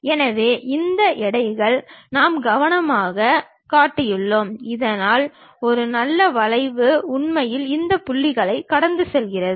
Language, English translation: Tamil, So, these weights we carefully shown it, so that a nice curve really pass through these points